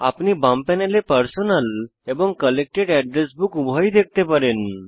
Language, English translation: Bengali, In the left panel, you can see both the Personal and Collected Address Books